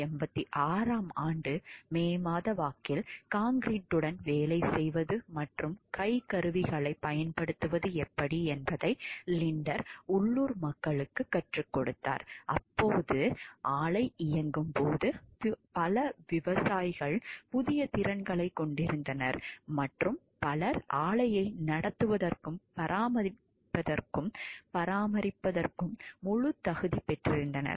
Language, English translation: Tamil, Linder taught local people how to work with concrete and use hand tools by May of 1986 when the plant was operational many peasants had new skills and several were fully competent to run and maintain the plant